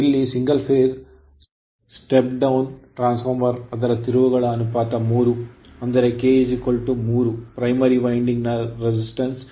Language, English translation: Kannada, Here a single phase step down transformer has its turns ratio of 3; that is k is equal to 3, the resistance and reactance of the primary winding are 1